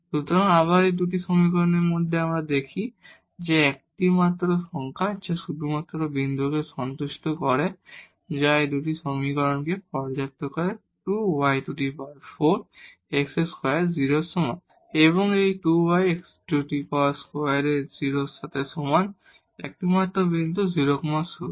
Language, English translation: Bengali, So, again out of these 2 equations we see that the only number which satisfy only point which satisfy these 2 equations 2 y plus 4 x is x square is equal to 0 and this 2 y plus x square is equal to 0, the only point is 0 0 again